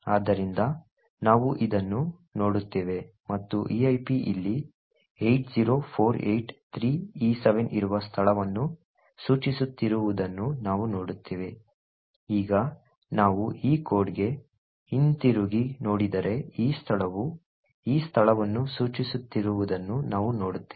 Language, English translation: Kannada, So we look at this and we see that eip is pointing to a location over here that is 80483e7, now if we go back to this code we see that the eip is actually pointing to this location over here essentially this instruction has to be executed